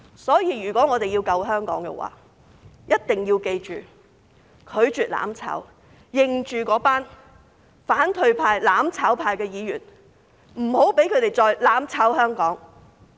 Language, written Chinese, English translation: Cantonese, 所以，如果我們要救香港，一定要記着，拒絕"攬炒"，認着那群反對派、"攬炒派"的議員，不要讓他們再"攬炒"香港。, Therefore if we want to save Hong Kong we must remember to refuse mutual destruction . Remember the Members of the opposition camp and those advocating mutual destruction . Do not let them destroy Hong Kong all together any further